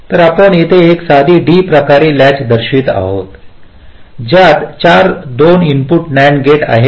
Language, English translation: Marathi, so here we are showing a simple d type latch consists of four to input nand gates